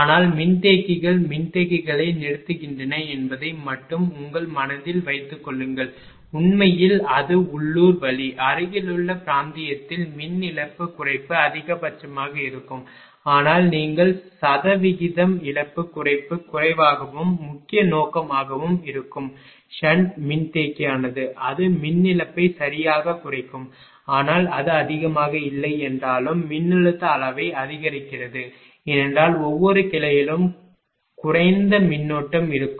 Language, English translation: Tamil, But only thing keep it in your mind that capacitors sun capacitors effect actually it is it is local means in the nearby region power loss reduction will be maximum, but as you are moving far away in terms of percentage loss reduction will be low and main purpose of sun capacitor is, that it will reduce the power loss right and do not match it improves the voltage magnitude because every branch there will be less current